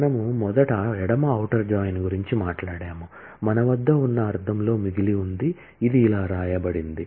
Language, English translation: Telugu, We first talked about left outer join, left in the sense that we have, this is how it is written